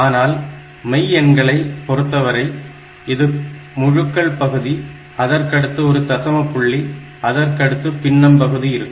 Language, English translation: Tamil, But in real number what happens is, that if this is the integer part of the number, after that we have got a decimal and after that you have got the fractional part